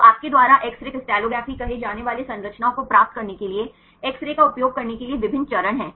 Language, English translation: Hindi, So, there various steps to use X ray to get the structures you say X ray crystallography